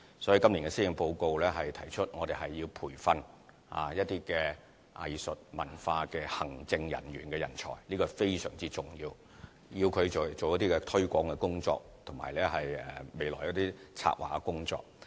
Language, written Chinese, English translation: Cantonese, 所以，今年的施政報告提出要培訓一些藝術、文化的行政人員的人才，這是非常重要的，讓他們可以進行一些推廣及未來策劃的工作。, Therefore it is said in the Policy Address this year that there will be training of some talented arts and cultural administrators which is very important so that they can engage in some promotional and future planning work